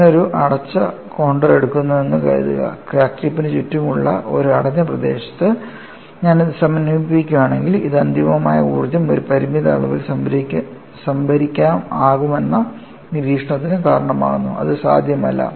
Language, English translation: Malayalam, Suppose I take a closed contour, if I integrate it over a closed region surrounding the crack tip, this results in the observation that it would be possible to store an infinite amount of energy in a finite volume, which is not possible